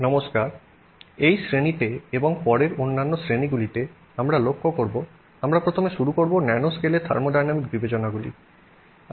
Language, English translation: Bengali, Hello, in this class and in the classes that we will look at going forward, we will first begin by looking at the impact of the nanoscale on thermodynamic considerations